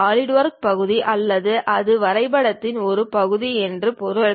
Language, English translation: Tamil, It means that Solidworks part or it is part of part the drawing